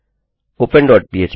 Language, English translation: Hindi, open dot php